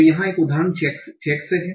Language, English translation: Hindi, So here is is an example